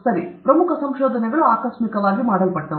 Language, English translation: Kannada, Okay so, important discoveries were made accidentally